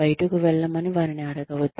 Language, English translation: Telugu, Do not ask them, to get out